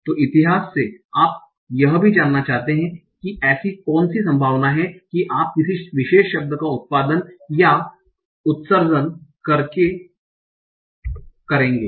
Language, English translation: Hindi, So from each state you also want to know what is the probability that you will output or emit a particular word